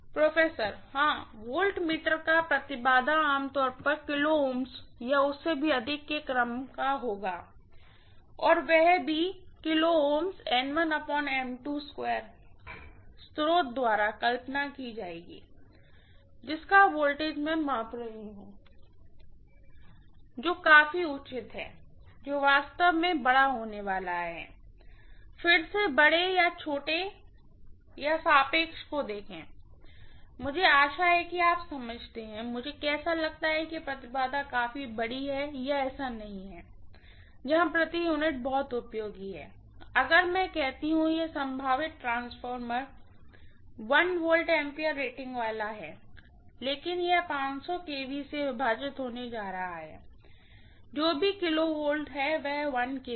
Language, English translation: Hindi, (()) (40:52) Yes, impedance of the voltmeter generally will be of the order of kilo ohms or even more and that kilo ohms multiplied by N1 by N2 the whole square will be visualized by the source, whose voltage I measuring, which is fair enough, which is going to be really, really large that, see again large or small or relative, I hope you understand, how do I guess whether the impedance is large enough or not, that is where the per unit is very useful, if I say this potential transformer is going to be of 1 V ampere rating, but it is going to be 500 kV divided by whatever kilovolt it is, 1 kV